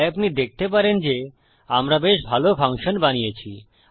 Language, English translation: Bengali, So you can see that this is quite good function that we have made